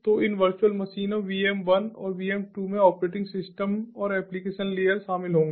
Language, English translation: Hindi, so these virtual machines, vm one and vm two, would include the operating system and the application layers